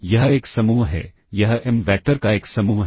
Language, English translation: Hindi, This is a set of, this is a set of m vectors